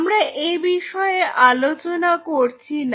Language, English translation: Bengali, So, we are not talking about it